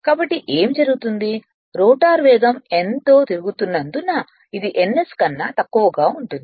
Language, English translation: Telugu, So, naturally what will happen this as rotor is rotating with speed n which is less than ns right which is less than ns